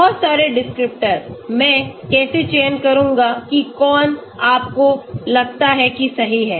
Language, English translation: Hindi, Too many descriptors, how do I select the ones which you think is the correct one